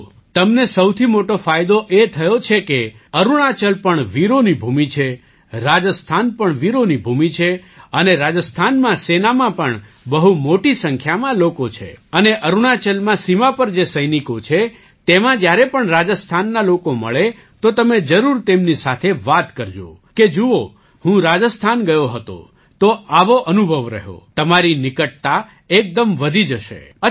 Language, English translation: Gujarati, See, the biggest advantage you have got is thatArunachal is also a land of brave hearts, Rajasthan is also a land of brave hearts and there are a large number of people from Rajasthan in the army, and whenever you meet people from Rajasthan among the soldiers on the border in Arunachal, you can definitely speak with them, that you had gone to Rajasthan,… had such an experience…after that your closeness with them will increase instantly